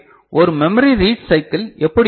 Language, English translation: Tamil, So, how one memory read cycle will look like ok